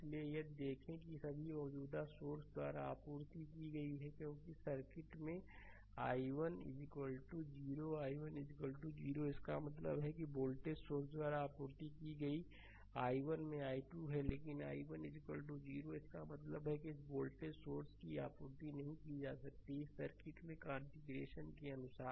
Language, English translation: Hindi, So, if you if you see that that all the power supplied by the current source, because in the circuit i 1 is equal to 0 i 1 is equal to 0; that means, power supplied by voltage source is 12 into i 1 but i 1 is equal to 0; that means, this voltage source is not supplied any power as per this circuit configuration is concerned right